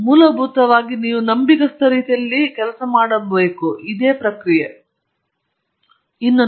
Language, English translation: Kannada, But basically you have to have faith that this is a process by which I can do things in a reliable manner